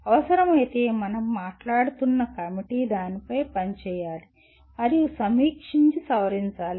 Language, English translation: Telugu, If necessary, the committee that we are talking about should work on it and review and modify